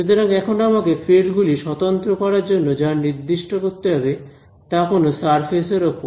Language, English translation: Bengali, So, now, what do I have to specify for the fields to be unique on which surface